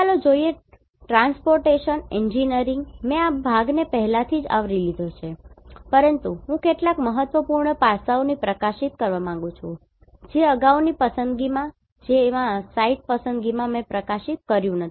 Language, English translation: Gujarati, Now, let us see Transportation Engineering, I have already covered this portion, but I want to highlight some of the important aspect which I did not highlighted in the previous one like site selection